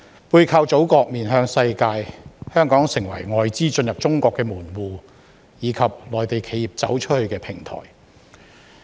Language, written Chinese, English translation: Cantonese, 背靠祖國，面向世界，香港成為外資進入中國的門戶，以及內地企業"走出去"的平台。, With the support of the Motherland behind us and a global outlook Hong Kong has become a gateway for foreign capital to gain entry into China and a platform for Mainland enterprises to go global